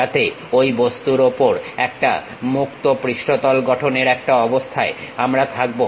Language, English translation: Bengali, So, that we will be in a position to construct, a free surface on that object